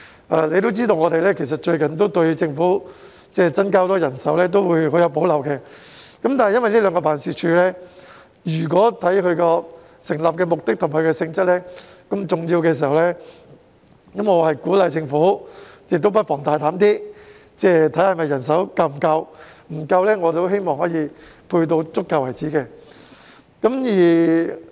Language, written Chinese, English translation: Cantonese, 大家也知道，最近我們對於政府要大幅增加人手很有保留，但觀乎這兩個辦事處的成立目的和性質這麼重要，我鼓勵政府不妨放膽審視人手是否足夠；如果不足夠，便增加至足夠為止。, As Members may be aware we have recently expressed great reservation about the Governments requests to substantially increase manpower . However given the importance of the purpose of establishment and nature of these two offices I encourage the Government to boldly review the adequacy of manpower; and in case it is inadequate sufficient manpower should be provided by all means